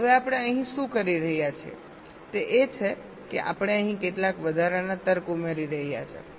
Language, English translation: Gujarati, now what we are doing here is that we are adding some extra logic